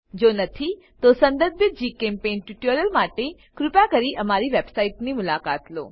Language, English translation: Gujarati, If not, for relevant GChemPaint tutorials, please visit our website